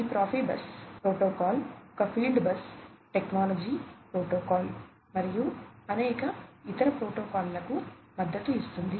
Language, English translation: Telugu, This Profibus protocol is a field bus technology protocol and supports several other protocols